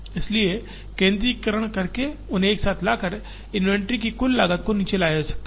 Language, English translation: Hindi, So, by centralizing and by bringing them together, the total cost of inventory can be brought down